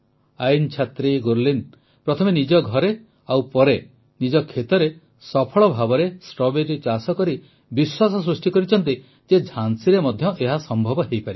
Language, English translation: Odia, A Law student Gurleen carried out Strawberry cultivation successfully first at her home and then in her farm raising the hope that this was possible in Jhansi too